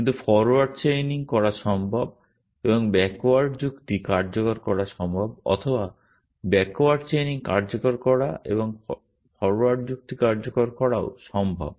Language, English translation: Bengali, But it is possible to do forward chaining and implement backward reasoning or it is also possible to implement backward chaining and implement forward reasoning essentially